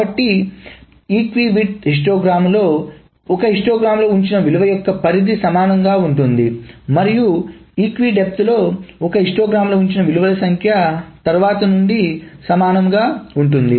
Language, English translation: Telugu, So in an equi width histogram, the range of values that is put in one histogram is same and in an equid depth, the number of values that is put in one histogram being from the next is same